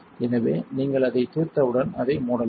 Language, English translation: Tamil, So, once you have that settles you can close it